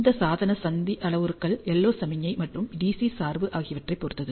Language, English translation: Tamil, And these device junction parameters depend on the LO signal and the D C bias applied